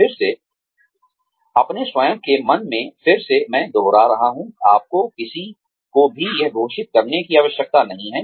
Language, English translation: Hindi, Again, in your own mind, again I am repeating, you do not need to declare this to anyone